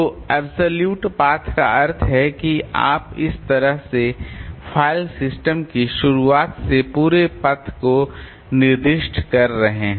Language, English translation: Hindi, So, absolute path means you are specifying the entire path from the beginning of the file system like say this one, so this is an absolute path